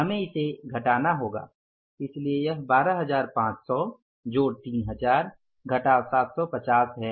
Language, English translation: Hindi, This amount we have taken here is 16,500 plus 750